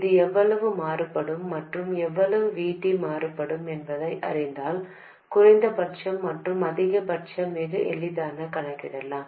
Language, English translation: Tamil, I mean knowing how much this varies and how much VT varies, you can calculate the minimum and maximum quite easily